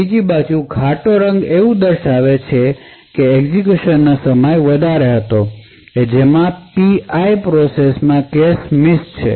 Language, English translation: Gujarati, On the other hand a darker color such as these over here would indicate that the execution time was higher in which case the P i process has incurred cache misses